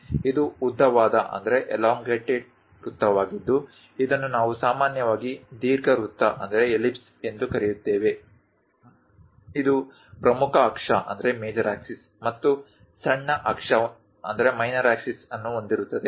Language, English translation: Kannada, This is elongated circle which we usually call ellipse, having major axis and minor axis